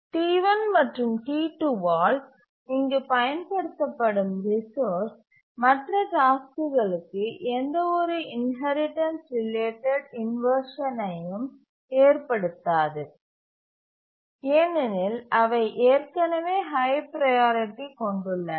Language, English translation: Tamil, So, the resource uses here by T1 and T2, they don't cause any inheritance related inversions to the other tasks because these are already high priority